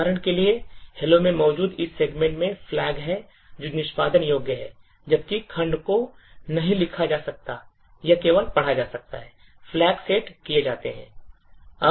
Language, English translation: Hindi, So, for example this particular segment, which is present in hello has the, is readable, writable and executable while they segment cannot be written to, it is only read and write flags are set